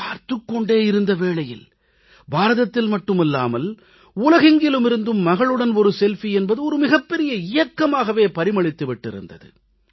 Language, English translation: Tamil, In no time, "Selfie with Daughter" became a big campaign not only in India but across the whole world